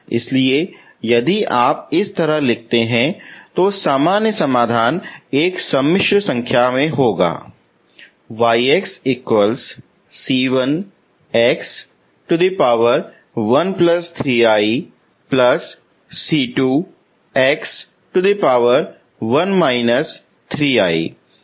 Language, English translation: Hindi, You can also write like this, only problem is this is a complex solution